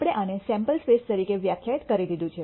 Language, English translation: Gujarati, We have already defined this as the sample space